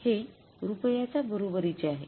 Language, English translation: Marathi, This is equal to rupees